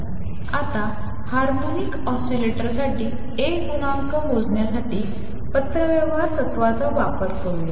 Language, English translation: Marathi, Let us now use correspondence principle to calculate the A coefficient for harmonic oscillator